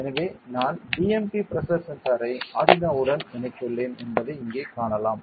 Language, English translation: Tamil, So, you can see here I have connected the BMP pressure sensor to the Arduino due ok